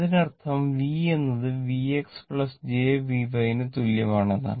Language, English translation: Malayalam, That means, my v is equal to, right